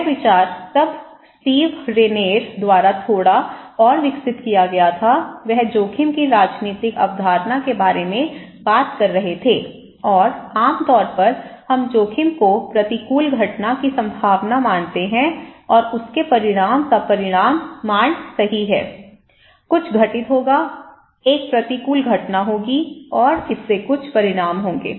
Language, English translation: Hindi, This idea was then little further developed by Steve Rayner, he was talking about polythetic concept of risk and that in generally, we consider risk is the probability of an adverse event and the magnitude of his consequence right, something will happen, an adverse event will happen and it has some consequences